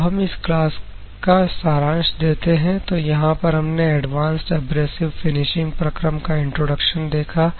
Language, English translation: Hindi, So, the summary of this particular class, we have seen introduction to advanced abrasive finishing processes